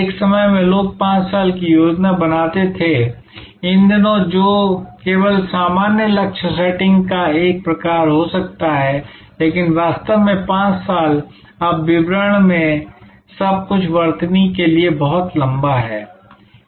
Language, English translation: Hindi, At one time people used to do 5 years planning, these days that can only be a sort of general goal setting, but really 5 years is now too long for spelling out everything in details